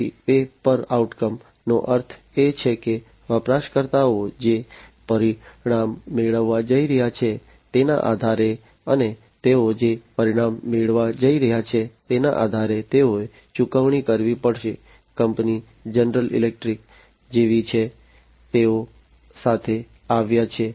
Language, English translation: Gujarati, So, pay per outcome means based on the outcome the users are going to be the users are going to be built, and they have to pay per the outcome that they are going to receive, company is like General Electric, they have come up with increased renewable energy production